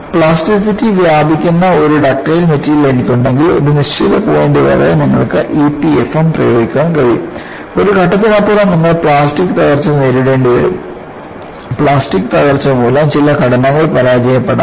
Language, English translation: Malayalam, So, if I have a ductile material with spread of plasticity, until a certain point you can apply E P F M, beyond a point you need to go for plastic collapse; because certain structures can fail by plastic collapse